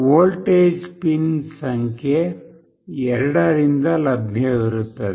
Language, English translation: Kannada, The output voltage will be available from pin number 2